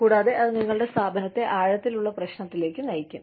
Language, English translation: Malayalam, And, that can get your organization, into deep trouble